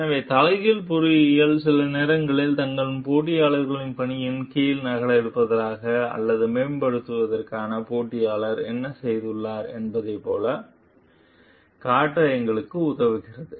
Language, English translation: Tamil, So, reverse engineering sometimes help us to show like what the competitor has done in order to copy or the improve under their competitor s work